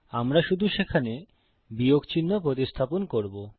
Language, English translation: Bengali, We will just replace the minus symbol there